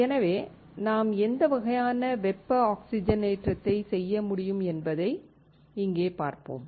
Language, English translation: Tamil, So, let us see here what kind of thermal oxidation can we perform